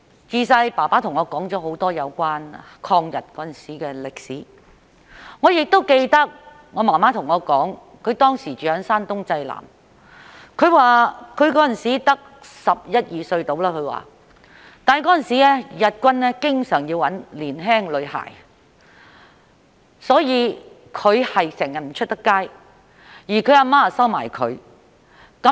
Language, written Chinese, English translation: Cantonese, 自小父親對我說了很多有關抗日時的歷史，我亦記得母親告訴我，她當時住在山東濟南，只有十一二歲，但當時日軍經常要找年輕女孩，所以她整天不能外出。, When I was a child my father told me a lot about the history of fighting the Japanese . I also remember my mother telling me that she was only a 11 or 12 - year - old girl living in Jinan Shandong Province at that time . But since the Japanese were often looking for young girls she could not go out throughout the day